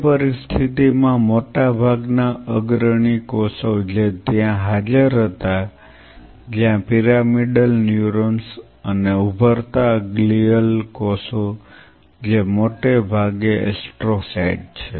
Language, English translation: Gujarati, In that situation most of the prominent cells which were present there where pyramidal neurons and emerging glial cells which are mostly astrocytes